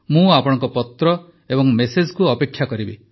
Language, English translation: Odia, I will be waiting for your letter and messages